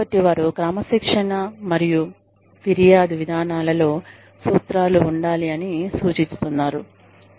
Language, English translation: Telugu, So, they suggest, that the disciplinary and grievance procedures should contain, a statement of principles